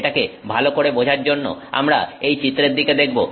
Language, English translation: Bengali, To understand this better, we will look at this image here